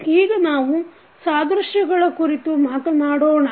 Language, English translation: Kannada, Now, let us talk about the analogies